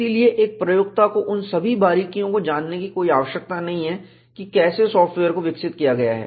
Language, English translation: Hindi, So, an user need not know all the nuances of how the software has been developed